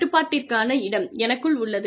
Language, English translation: Tamil, The locus of control, lies inside me